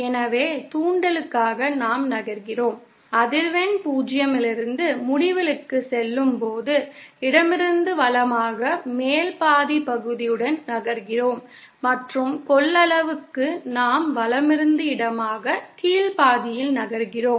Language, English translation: Tamil, So, for inductance we move fromÉ As the frequency goes from 0 to Infinity, we move from the left to the right along the top half portion and for the capacitance we move from the right to the left along the bottom half